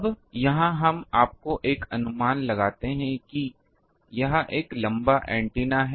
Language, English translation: Hindi, Now, here we will have to have a gauge you see this is a long antenna